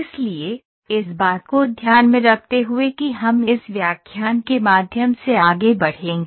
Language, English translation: Hindi, So, keeping that in mind we will move through this lecture